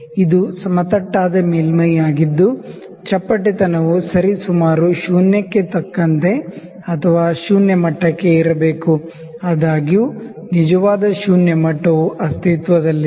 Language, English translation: Kannada, So, this is a flat surface the flatness has to be up to zero level like approximately zero levels; however, there is no zero actual zero level that exists